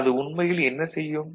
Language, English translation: Tamil, So, what is it what does it do actually